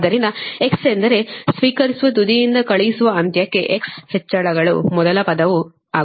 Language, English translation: Kannada, that means when you are moving from receiving end to sending end, x is increasing